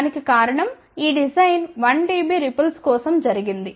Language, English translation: Telugu, The reason for that is this design was done for 1 dB rippled, ok